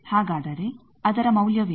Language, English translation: Kannada, So, what is a value that